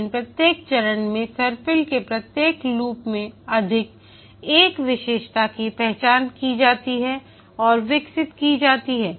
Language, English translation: Hindi, But over each phase, that is each loop of the spiral, one feature is identified and is developed